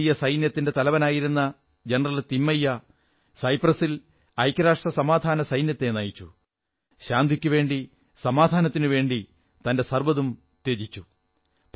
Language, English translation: Malayalam, General Thimaiyya, who had been India's army chief, lead the UN Peacekeeping force in Cyprus and sacrificed everything for those peace efforts